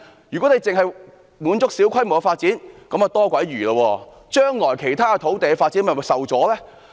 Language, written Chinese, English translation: Cantonese, 如果政府只滿足於小規模發展，那真是多餘，因將來其他土地發展將會受阻。, If the Government is merely contented with small - scale development then it is really superfluous because other land development will be impeded in the future